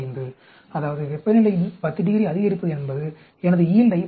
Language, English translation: Tamil, 35 that means increasing temperature by 10 degrees is increasing my yield by 11